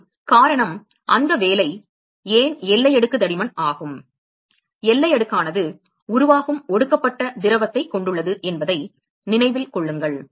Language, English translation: Tamil, And the reason, why the that that works is the boundary layer thickness; remember that the boundary layer con consist of the fluid which is the condensate which is formed